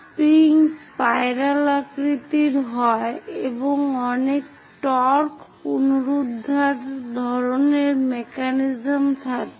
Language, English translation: Bengali, The spring is wounded into a spiral shape and many torque restoring kind of mechanisms